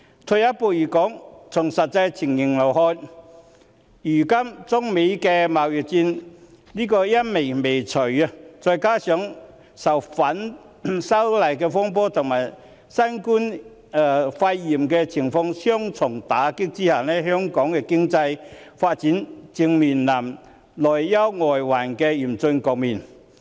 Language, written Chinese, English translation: Cantonese, 退一步來說，從實際情形來看，如今中美貿易戰陰霾未除，再加上受反修例風波及新型冠狀病毒肺炎疫情的雙重打擊，香港的經濟發展正面臨內憂外患的嚴峻局面。, On second thoughts the actual situation is that uncertainties still exist in the trade war between China and the United States . This coupled with the double whammy of the disturbances arising from the opposition to the proposed legislative amendments and the outbreak of COVID - 19 has given rise to a dire situation in which Hong Kong faces external and domestic challenges in terms of economic development